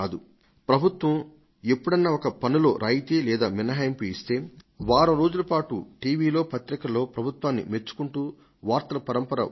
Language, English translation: Telugu, If the government gives even a small concession on tax or exemption from tax, then for a whole week we hear praise for that government being splashed on TV channels and in newspapers